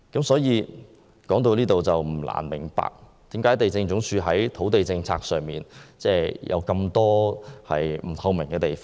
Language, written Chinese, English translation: Cantonese, 所以，不難明白為何地政總署的土地政策有這麼多不透明的地方。, Hence it is not hard to see why the land policies of LD are so non - transparent